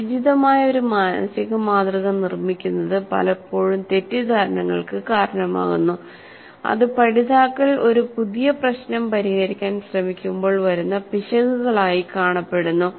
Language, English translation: Malayalam, And building an inappropriate mental model often results in misconceptions that show up as errors when learners attempt to solve a new problem